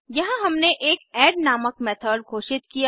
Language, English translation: Hindi, Here we have declared a method called add